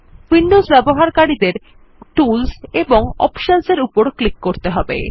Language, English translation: Bengali, windows users should click on Tools and Options